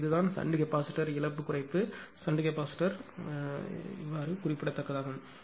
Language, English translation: Tamil, So, this is what that shunt capacitor where it is that loss reduction is the significant in shunt capacitor right